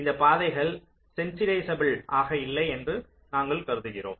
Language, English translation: Tamil, so we are saying that these paths are not sensitizable